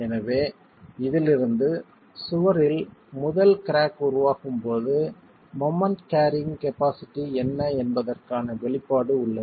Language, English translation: Tamil, So, from this we basically have an expression for what is the moment carrying capacity when the first crack is forming in the wall